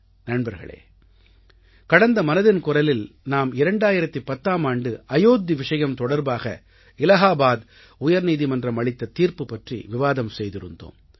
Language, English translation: Tamil, Friends, in the last edition of Man Ki Baat, we had discussed the 2010 Allahabad High Court Judgment on the Ayodhya issue